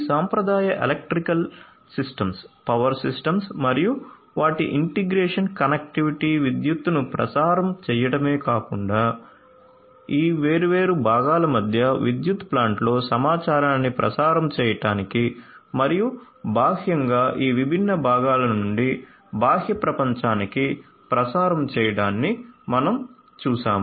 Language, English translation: Telugu, We have seen that traditional electrical systems, power systems and their integration connectivity not only to transmit electricity, but also to transmit information between these different components in a power plant and also externally from these different components to the outside world